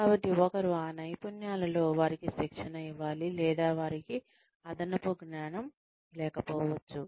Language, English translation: Telugu, So, one needs to train them, in those skills, or, they may not have additional knowledge